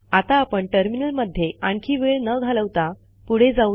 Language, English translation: Marathi, We will not spend any more time with the terminal now